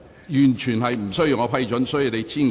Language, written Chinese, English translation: Cantonese, 完全無須經主席批准。, Chairmans approval is totally unnecessary